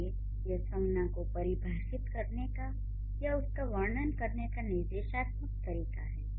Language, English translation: Hindi, So, this is the prescriptive way of explaining or prescriptive way of defining a noun